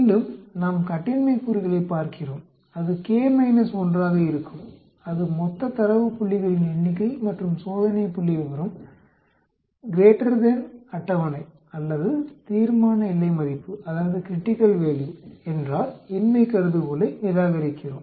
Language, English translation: Tamil, Again, we look at the degrees of freedom which will be K minus 1 that is total number of data points and if the test statistics is greater than the table or critical value we reject the null hypothesis